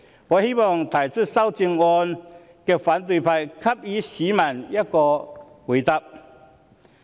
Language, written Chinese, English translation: Cantonese, 我希望提出修正案的反對派給予市民答覆。, I hope opposition Members who have proposed the amendments will give a reply to members of the public